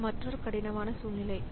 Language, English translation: Tamil, So, this is another difficult situation